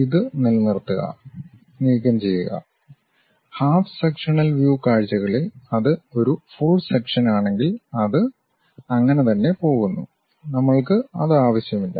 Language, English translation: Malayalam, So retain, remove; in half sectional views by if it is a full section it goes all the way there, we do not require that